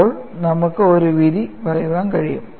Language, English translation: Malayalam, Then we can make a judgment